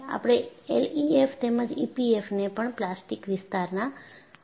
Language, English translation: Gujarati, We will classify L E F M as well as E P F M based on plastic zone also